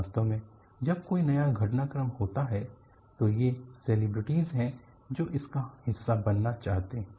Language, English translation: Hindi, In fact, when any new developments take place, it is a celebrity who wants to take a share of it